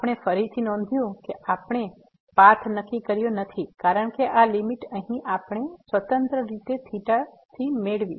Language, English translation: Gujarati, We have again note that we have not fixed the path because this limit here, we got independently of theta